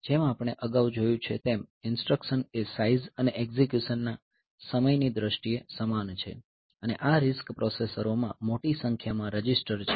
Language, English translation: Gujarati, So, as we have noted earlier that the instructions are similar in terms of size and execution time and also this RISC processors they have got large number of registers in them